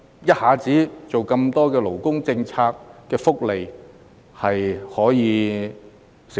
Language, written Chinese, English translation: Cantonese, 一下子推出這麼多勞工福利，商界能否承受？, When so many labour benefits are introduced all at once can the business sector bear with them?